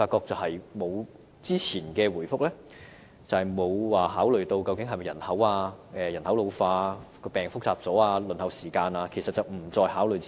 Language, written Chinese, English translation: Cantonese, 但是，政府的回覆沒有考慮到人口老化、疾病越趨複雜、輪候時間等因素，這些因素並不在政府考慮之列。, However the Governments reply has not considered such factors as population ageing the increasing complexity of diseases and the waiting time . These factors are not considered by the Government